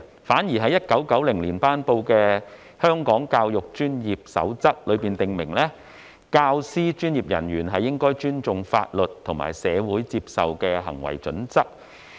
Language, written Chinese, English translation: Cantonese, 反而在1990年公布的《守則》卻訂明，專業教育工作者應尊重法律及社會接受的行為準則。, Instead the Code which is promulgated in 1990 states that a professional educator should show respect for the law and the behavioural norms acceptable to society as a whole